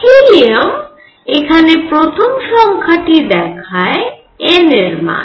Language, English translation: Bengali, Helium, where n first level goes the first number shows n value